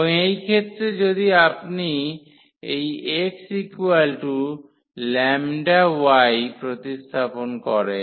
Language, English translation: Bengali, And, in this case if you substitute this x is equal to lambda y